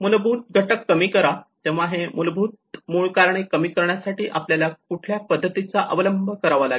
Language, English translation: Marathi, Reduce the underlying factors; what are the strategies that we can implement to reduce these underlying root causes